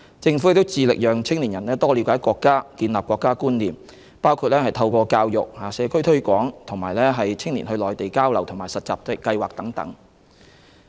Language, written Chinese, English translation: Cantonese, 政府致力培養青年人多了解國家，建立國家觀念，包括透過教育、社區推廣和青年到內地交流和實習計劃等。, The Government is committed to raising awareness among young people about the nation and cultivating in them a sense of national identity through education community promotion as well as Mainland exchange and internship programmes for youths